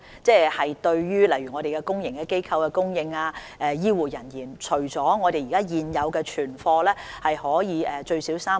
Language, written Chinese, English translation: Cantonese, 針對公營機構及醫護人員等的需要，我們現有的存貨足夠使用最少3個月。, With respect to the needs of public organizations and health care personnel our existing stock is adequate for meeting the consumption of three months at least